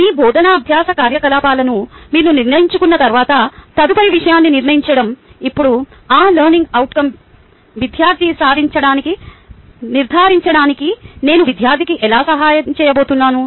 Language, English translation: Telugu, once you decide your teaching learning activity, the next thing is to decide now how am i going to assist the student to ensure that the student has achieved that learning outcome